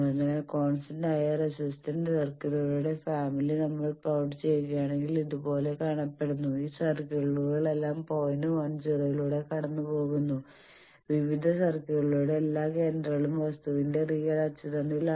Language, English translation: Malayalam, So, you see if we plot the family of constant resistance circles it looks like these, all these circles are passing through the point 1 0, all the centers of the various circles they are on the real axis of the thing